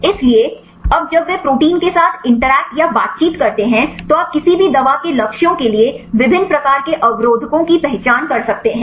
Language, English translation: Hindi, So, now when they interact with the protein, so you can identify different types of inhibitors for any drug targets